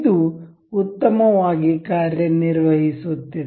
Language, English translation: Kannada, It is working well and good